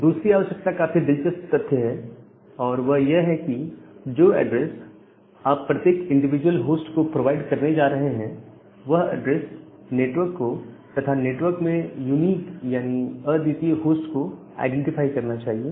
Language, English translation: Hindi, The second requirement the interesting fact is that the address that you are going to provide every individual host, that particular address should identify a network, as well as a unique host inside the network